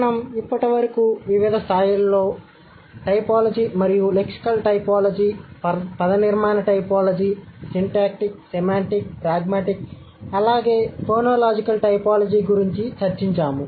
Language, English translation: Telugu, We have discussed lexical typology, morphological typology, syntactic, semantic, pragmatic, as well as phonological